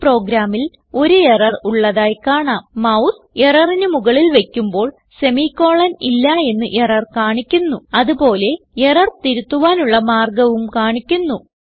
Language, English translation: Malayalam, In this program we can see there is an error and mouse hover on the error We can see that the error says semi colon missing and the solution to resolve the error is also shown